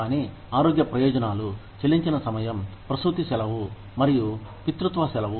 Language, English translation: Telugu, But, health benefits, paid time off, maternity leave, and paternity leave